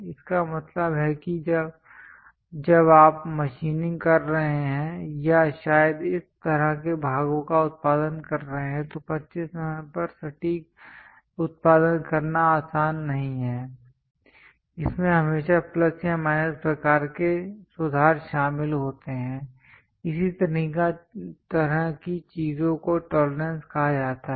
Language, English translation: Hindi, That means, when you are machining or perhaps making a part or producing this kind of parts, it is not easy to produce precisely at 25 mm there always be plus or minus kind of corrections involved; such kind of things are called tolerances